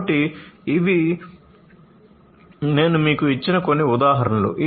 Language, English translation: Telugu, So, these are some examples that I have given you